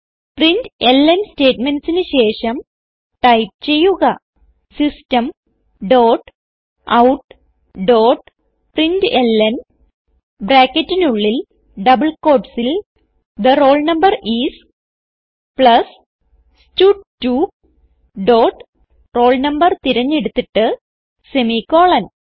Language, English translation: Malayalam, Now after the println statements, type System dot out dot println within brackets and double quotes The roll number is, plus stud2 dot select roll no and semicolon